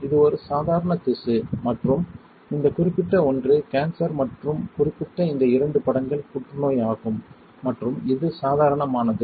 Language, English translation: Tamil, That the normal tissue which is this one and cancerous which is this particular one and this particular one these two images are cancer and this is normal right